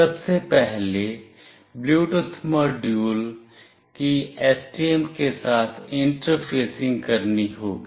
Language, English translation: Hindi, First of all the Bluetooth module have to be interfaced with the STM